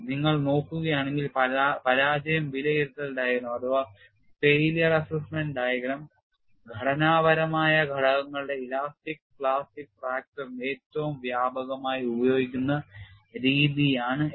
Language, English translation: Malayalam, And if you look at the failure assessment diagram abbreviated as FAD is the most widely used methodology for elastic plastic fracture of structural components